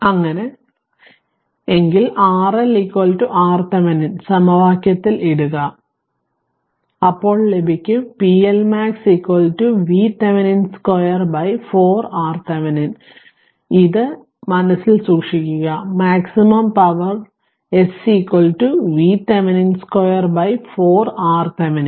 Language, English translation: Malayalam, Then you will get you will get p L max is equal to V Thevenin square upon 4 R Thevenin right, this is the this you can this you keep it in your mind that maximum power S equal to V Thevenin square by 4 R Thevenin right